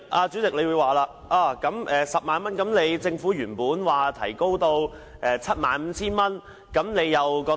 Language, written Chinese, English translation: Cantonese, 主席可能會問我，是否支持政府將權限提高至 75,000 元的修訂？, The President may ask if I support the Governments proposed amendments to increase the jurisdictional limit to 75,000